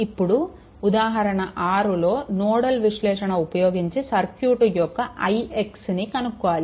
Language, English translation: Telugu, Then example 6 are using nodal analysis, you have to determine i x right of the circuit